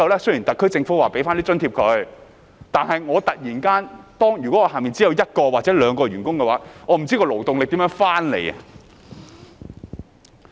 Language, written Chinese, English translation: Cantonese, 雖然特區政府會為僱主提供津貼，但如果公司只有一兩名員工，便不知怎樣填補勞動力了。, Although the SAR Government will provide employers with subsidies a company with only one or two employees will surely get puzzled about how to replenish the manpower